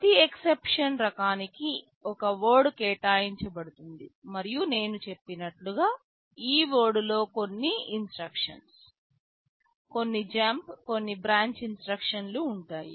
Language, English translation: Telugu, One word is allocated for every exception type and as I have said, this word will contain some instruction; some jump, some branch instruction